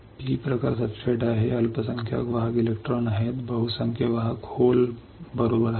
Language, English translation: Marathi, P types substrate is there; the minority carriers are electrons majority carriers are holes right